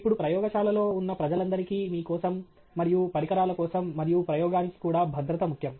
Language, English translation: Telugu, Now safety is important for all the people who are present in lab, for yourself, and also for the equipment, and even for the experiments itself